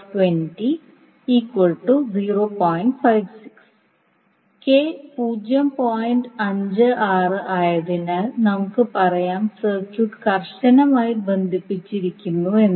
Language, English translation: Malayalam, 56, we will say that the circuit is tightly coupled